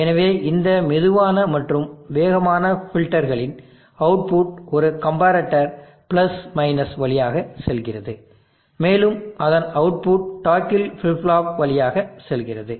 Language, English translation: Tamil, So output of this slow and fast filters go through a comparator + and output of that goes through a toggle flip flop